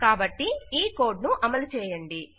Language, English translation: Telugu, So lets execute this code